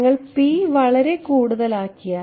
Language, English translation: Malayalam, If you make p very high